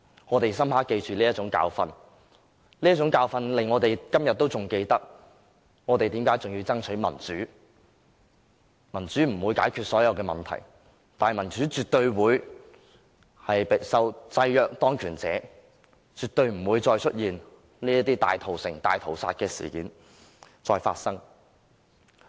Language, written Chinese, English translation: Cantonese, 我們深刻記住這種教訓，這種教訓令我們今天仍然記得我們為何要爭取民主，民主不能解決所有問題，但民主絕對可制約當權者，令這些大屠城、大屠殺的事件絕對不會再發生。, It has served to remind us of the reasons why we want to strive for democracy today . Democracy is not a solution to all problems . But democracy can certainly constrain those in power and ensure that such massacres and slaughters will never ever happen again